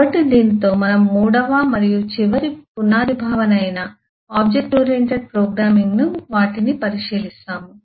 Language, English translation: Telugu, so with this we look into the third and the last, or the foundational concepts, that is, object oriented programming, certainly, analysis and design